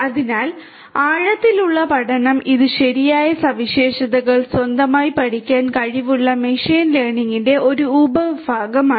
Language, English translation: Malayalam, So, deep learning, it is a subfield of machine learning which is capable of learning the right features on its own know